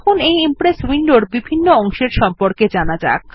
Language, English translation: Bengali, Now let us learn about the main components of the Impress window